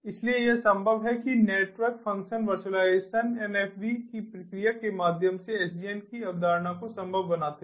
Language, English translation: Hindi, so this is made possible, they, the concept of sdn, is made possible through the process of network function virtualization, nfv